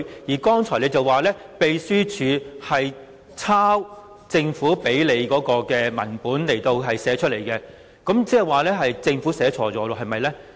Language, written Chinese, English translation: Cantonese, 你剛才說，秘書處的講稿從政府提供的文本抄寫過來，那麼，即是說政府寫錯了，是不是呢？, You have said that the Script was prepared by the Secretariat and was copied from the government document . So the Government has made a clerical mistake right?